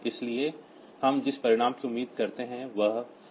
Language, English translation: Hindi, So, the result that we expect is 52